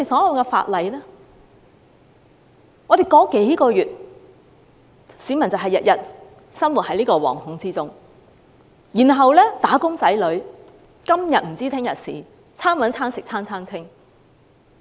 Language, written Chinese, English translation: Cantonese, 我們已談論了數個月，市民每天生活在惶恐之中，"打工仔女"看不到出路，"餐搵餐食餐餐清"。, We have been talking for several months about how members of the public are living in fear every day and how wage earners cannot find a way out and are living from hand to mouth